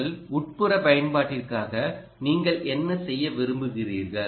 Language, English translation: Tamil, identify what you want to do for your indoor application